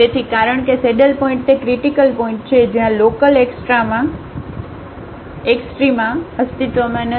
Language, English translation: Gujarati, So, because the saddle points are those critical points where the local extrema do not exists